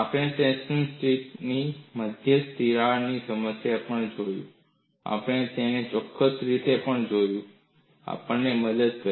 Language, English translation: Gujarati, We have looked at the problem of a center crack at a tension strip and we have also looked at it in a particular fashion; this helped us